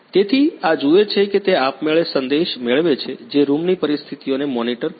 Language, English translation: Gujarati, So, this see it automatically get message which can monitor the room conditions